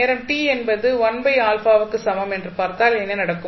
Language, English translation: Tamil, Now, if you see at time t is equal to 1 by alpha what will happen